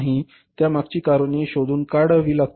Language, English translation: Marathi, Now we have to find out the reasons for that